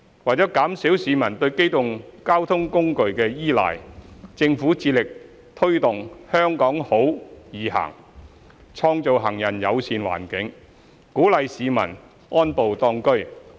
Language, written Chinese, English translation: Cantonese, 為減少市民對機動交通工具的依賴，政府致力推動"香港好.易行"，創造行人友善環境，鼓勵市民"安步當車"。, To reduce the publics reliance on motorized transport the Government is committed to promoting Walk in HK by creating a pedestrian - friendly environment to encourage the public to walk more ride less